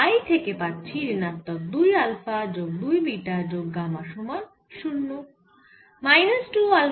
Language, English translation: Bengali, and for i get minus two alpha plus two, beta plus gamma is equal to zero